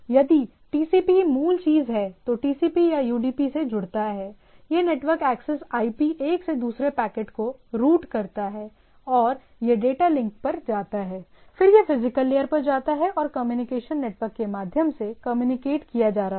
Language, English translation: Hindi, So, it goes to the transport if the TCP is the basic thing, then it connects to the TCP or UDP, it goes to the network access IP, IP routes the packets form one to another and it goes to data link, then it goes to the physical and being communicated through the communication network right